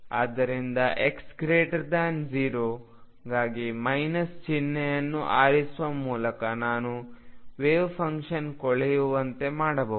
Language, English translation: Kannada, And therefore, this for x greater than 0 by choosing the minus sign I can make the wave function decay